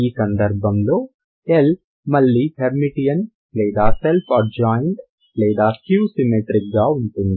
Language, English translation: Telugu, So and you have seen that L will be again Hermitian or Self adjoint or skew symmetric in this case